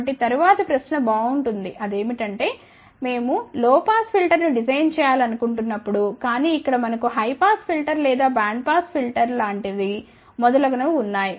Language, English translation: Telugu, So, then the next question comes well we wanted to design a low pass filter, ok , but here we have kind of a high pass filter or band pass filter and so on